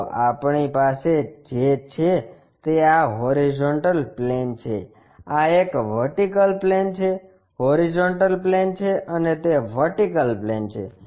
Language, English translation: Gujarati, So, so, this is the horizontal plane what we have, this is the vertical plane, horizontal plane, and that is the vertical plane